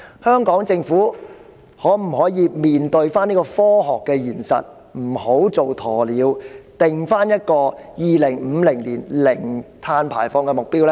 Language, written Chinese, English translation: Cantonese, 香港政府可否面對這個科學現實，不要做"鴕鳥"，而制訂2050年零碳排放的目標呢？, Can the Hong Kong Government face such a scientific reality and stop being an ostrich but set the target of zero carbon emission by 2050?